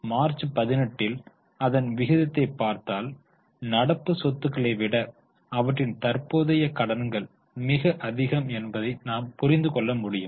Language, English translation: Tamil, If you look at the ratio, you will realize that their current liabilities are much higher than current assets in March 18